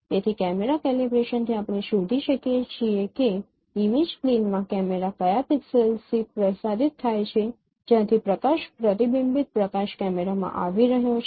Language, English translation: Gujarati, So from the camera calibration we can find out that in which pixel of the camera in the image plane which is illuminated from where the light reflected light is coming to the camera